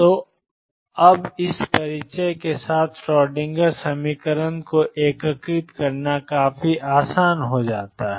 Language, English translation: Hindi, So, now, with this introduction to integrate the Schrodinger equation becomes quite easy